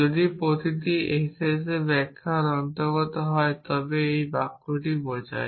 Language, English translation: Bengali, If every s belongs to s interpretation imply this sentence s